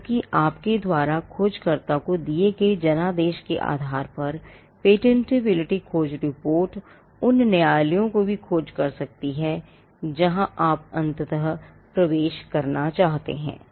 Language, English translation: Hindi, Because, the patentability search report depending on the mandate you give to the searcher can also search for jurisdictions where you want to enter eventually